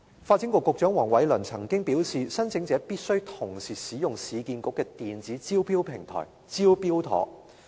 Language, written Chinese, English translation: Cantonese, 發展局局長黃偉綸曾經表示，申請者必須同時使用市區重建局的電子招標平台"招標妥"。, Secretary Michael WONG once said that applicants must at the same time make use of the Smart Tender e - tendering system provided by the Urban Renewal Authority